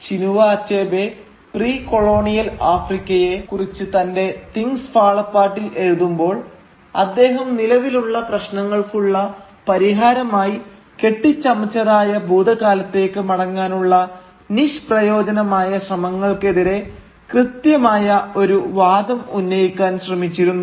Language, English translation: Malayalam, So when Chinua Achebe was writing about precolonial Africa in his Things Fall Apart, he was trying to make an argument precisely against this simplistic attempt to return to a fabled past as a solution for the present problems